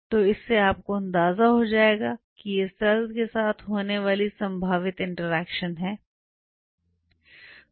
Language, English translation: Hindi, So, that will give you an idea that these are the possible interactions which can happen with the cell